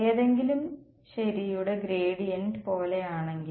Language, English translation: Malayalam, If it is like the gradient of something right